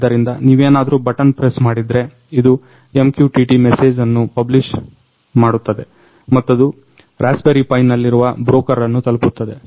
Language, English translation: Kannada, So, if you press the button, it publishes an MQTT message which reaches the broker on the Raspberry Pi